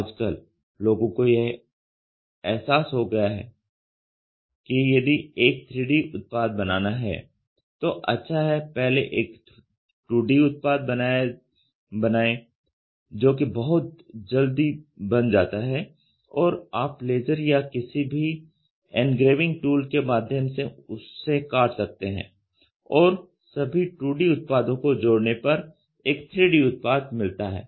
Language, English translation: Hindi, Today people have also realized that if you want to make a 3D product it is good we start making a 2D one and 2D one it is very quickly you can cut through laser or any engraving tool you cut it and then you break the 2D things assemble it you get the 3D part ok